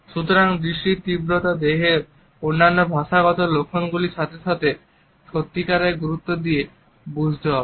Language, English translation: Bengali, So, intensity of gaze has to be understood coupled with other body linguistic signs to understand the true import of a